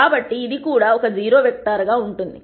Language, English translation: Telugu, So, this will be a also a 0 vector